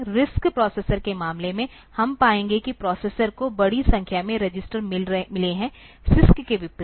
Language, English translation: Hindi, In case of RISC processors, we will find that the processor has got large number of registers; unlike CISC